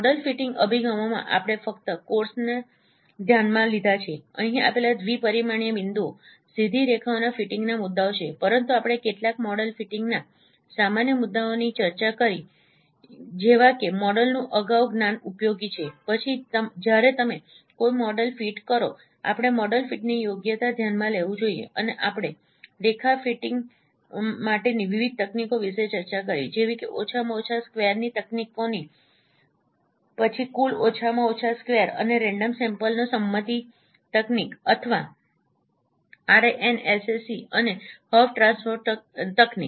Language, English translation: Gujarati, And art movers distance also we discussed that's a special distance function and its computation is also quite involved computations in the model fitting approaches we considered only of course here the issues of fitting straight lines given two dimensional points but we discussed some of the general issues of model fitting like prior knowledge of the model is useful then we should consider the goodness of fit when you fit a model and this we discussed about different techniques for line fitting, like techniques of list squares, then total list squares and the random sampling consensus technique or RANZAC and also HOP transform technique